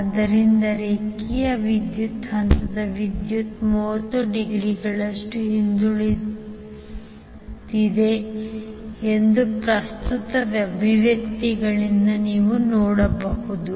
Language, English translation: Kannada, So this you can see from the current expressions that the line current is lagging the phase current by 30 degree